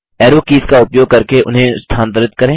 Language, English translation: Hindi, Move them using the arrow keys